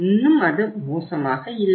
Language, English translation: Tamil, Still it is not that bad